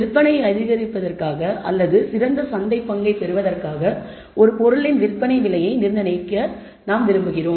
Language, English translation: Tamil, We want to set the selling price of an item in order to either boost sales or get a better market share